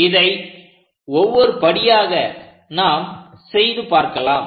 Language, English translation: Tamil, So, let us do that step by step, ok